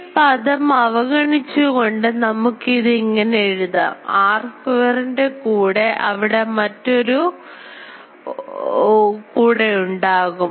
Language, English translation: Malayalam, So, we can write this after neglecting this term that; this will be r square along there will be another one